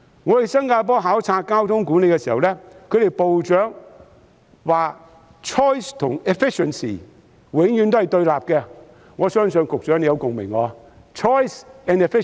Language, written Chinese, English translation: Cantonese, 我前往新加坡考察交通管理時，其部長指出 choice 和 efficiency 永遠也是對立的，我相信局長對此也有共鳴。, During my visit to Singapore to observe traffic management its minster pointed out that choice and efficiency are always in conflict with each other . I believe the Secretary shares the same feeling about this